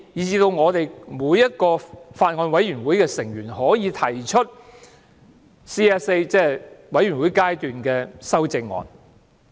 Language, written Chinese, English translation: Cantonese, 此外，每位法案委員會委員也可以提出 CSA， 即全體委員會審議階段修正案。, Moreover all members of a Bills Committee can propose CSAs . Any CSA proposed in a Bills Committee will be decided by way of vote